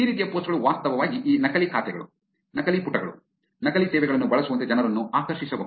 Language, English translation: Kannada, These kind of posts can actually lure people into using these fake accounts, fake pages, fake services